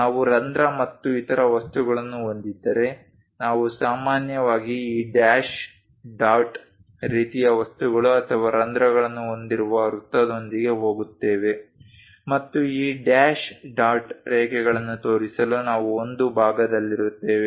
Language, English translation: Kannada, If we have hole and other things, we usually go with this dash dot kind of things or a circle with holes also we will be in a portion to show this dash dot lines